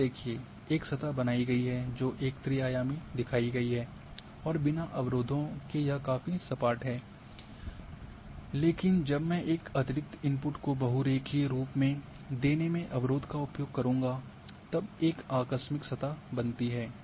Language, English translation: Hindi, See the surface has been created which is shown here as in a 3D without barriers it is quite a smooth, but when I will use the barrier as giving as one of the additional input as a poly line then a abrupt surface is created